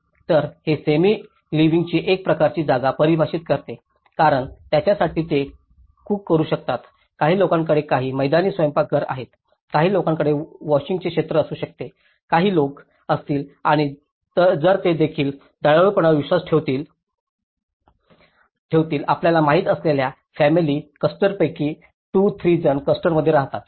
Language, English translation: Marathi, So, this defines some a kind of semi living space because, for them, they can cook, some people have some outdoor kitchens to it, some people can have a washing area, some people and if it is and they also believe in kind of family clusters you know like 2, 3 people live in a cluster